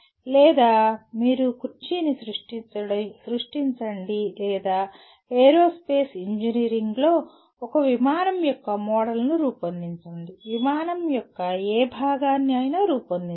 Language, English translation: Telugu, Or you create the chair or in aerospace engineering you are asked to create a let us say a model of a plane, whatever part of a plane, whatever it is